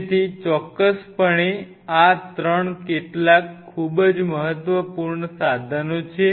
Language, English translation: Gujarati, So, definitely these 3 are some of the very important tools